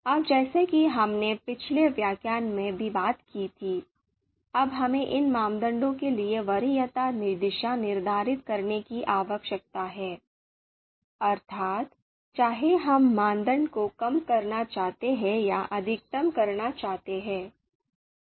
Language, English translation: Hindi, Now as we talked about in the previous lecture that we need to set the preference direction for these criteria, whether we would like to minimize or maximize the criteria